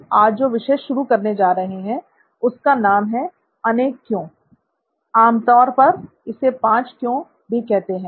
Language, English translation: Hindi, This particular topic we are starting now is called Multi Why, also popularly known as 5 Whys